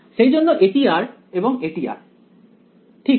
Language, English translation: Bengali, So, this is r and this is r ok